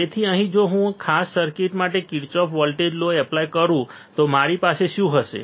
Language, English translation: Gujarati, So, here if I apply Kirchhoff voltage law for this particular circuit what will I have